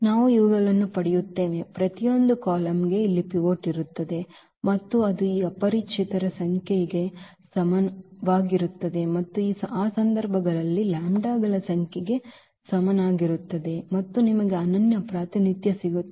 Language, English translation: Kannada, So, we will get these every column will have a pivot here and that will be equal to the number of these unknowns the number of lambdas in that case and you will get a unique representation